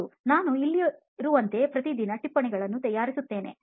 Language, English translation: Kannada, Yeah, like now as I am going, I have been preparing notes every day like in here